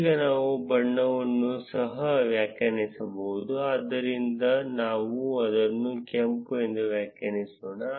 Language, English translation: Kannada, And we can also define the color, so let us define it as red